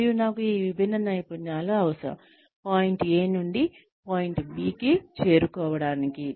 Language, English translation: Telugu, And, I need these different skills, in order to reach, go from point A to point B